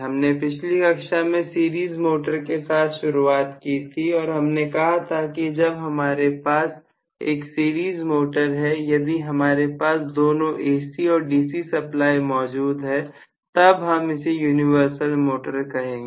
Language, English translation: Hindi, We had started on series motor in the last class and we said in the series motor, if I have both AC and DC supply possible, then we call that as universal motor